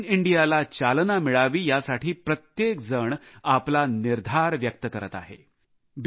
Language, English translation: Marathi, In order to encourage "Make in India" everyone is expressing one's own resolve